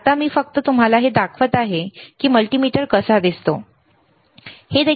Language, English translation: Marathi, Just now I am just showing it to you this is how a multimeter looks like, all right